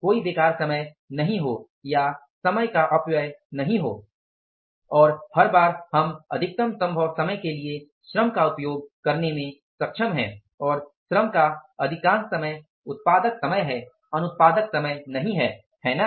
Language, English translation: Hindi, There is no idle time or the wastage of any time and every time we are able to use the labor for the maximum possible time and most of the time of the labor is the productive time not the unproductive time